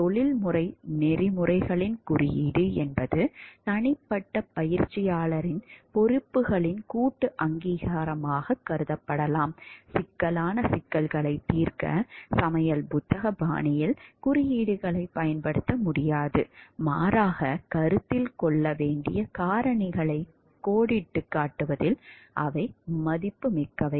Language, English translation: Tamil, A code of professional ethics may be thought of as a collective recognition of the responsibilities of the individual’s practitioner’s, codes cannot be used in a cookbook fashion to resolve complex problems but, instead they are valuable in outlining the factors to be considered